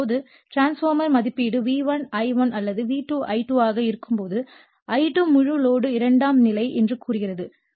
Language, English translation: Tamil, Now, transformer rating is either V1 I1 or V2 I2 when I2 is the full load say secondary current